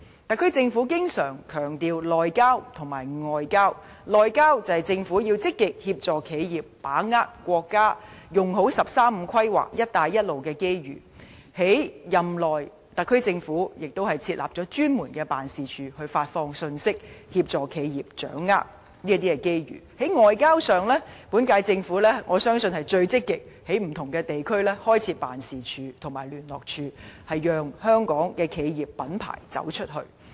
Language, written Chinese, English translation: Cantonese, 特區政府經常強調"內交"及"外交"，"內交"是指政府要積極協助企業把握國家"十三五"規劃和"一帶一路"的機遇，特區政府任內亦設立專門辦事處，發放信息，協助企業掌握機遇；而在"外交"上，我相信本屆政府是歷屆政府中最積極在不同地區開設辦事處和聯絡處的，讓香港企業品牌走出去。, The SAR Government always emphasizes homeland relationship and foreign affairs . Homeland relationship means that the Government has to actively assist enterprises to grasp the opportunities arising from the National 13 Five - Year Plan and One Belt One Road . During the term of the SAR Government it has established a specific office for updating enterprises and enabling them to take their chances; on foreign affairs I believe among all previous Governments the incumbent Government is the most active one in setting up offices and liaison units in different regions so as to facilitate Hong Kong enterprises to venture outside